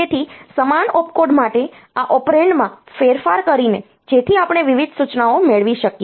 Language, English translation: Gujarati, So, for same opcode by varying these operands; so we can get different instructions